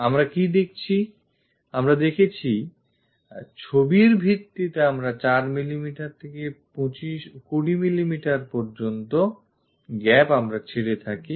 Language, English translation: Bengali, What we have seen is something like 4 mm to 20 mm gap usually we leave it based on the picture